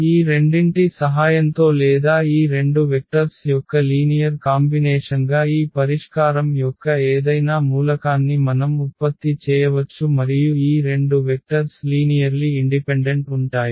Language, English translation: Telugu, We can generate any element of this solution set with the help of these two or as a linear combination of these two 2 vectors and these two vectors are linearly independent